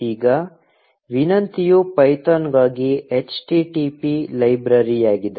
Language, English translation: Kannada, Now, a request is http library for python